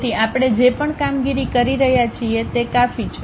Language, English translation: Gujarati, So, whatever the operations we are making this is the cut